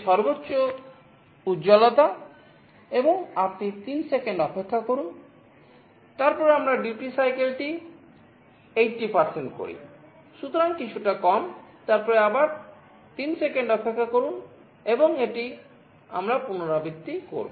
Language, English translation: Bengali, So, a little less, then again wait for 3 seconds and this we repeat